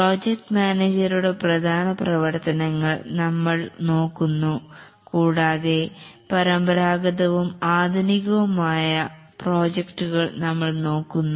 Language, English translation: Malayalam, We'll look at the major activities of the project manager and we'll look at the traditional versus modern projects